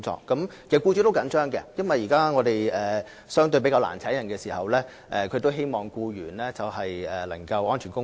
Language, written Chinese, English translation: Cantonese, 其實，僱主也相當着緊，因為現時相對較難聘請人手，僱主都希望僱員能夠安全工作。, In fact employers are serious about this . As recruitment has become more difficult they also want to see their employees working safely